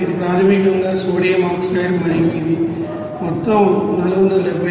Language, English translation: Telugu, It is basically sodium oxide and it is amount is 471